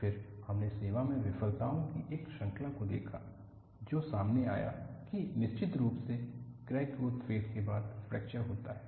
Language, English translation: Hindi, Then, we looked at series of service failures, which brought out, definitely, there is a crack growth phase followed by fracture